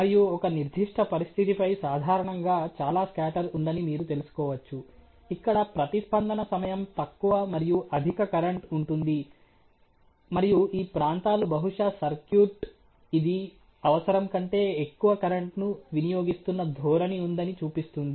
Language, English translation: Telugu, And you can find out that typically there is a lot of scatter on a certain situation, where there is a lower time of response and considerably higher current you know and these are the regions which probably show that there is a trend that the circuit is bleeding more current then is needed ok